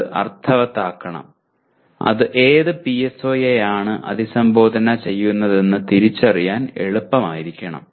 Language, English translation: Malayalam, That should make sense and it should be easier to identify which PSO it addresses